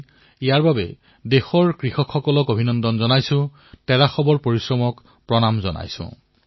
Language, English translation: Assamese, For this I extend felicitations to the farmers of our country…I salute their perseverance